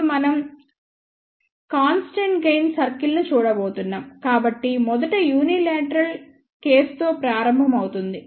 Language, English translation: Telugu, Now we are going to look at constant gain circle, so, will first start with the unilateral case